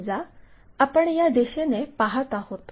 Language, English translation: Marathi, For example, we are looking from this direction